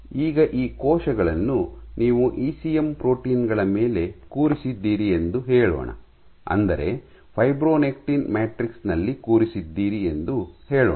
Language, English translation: Kannada, Now, let us say you have these cells sitting on ECM proteins that says sitting on fibronectin matrix